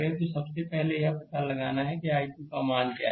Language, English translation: Hindi, So, what is the first you have to find out what is the value of i 2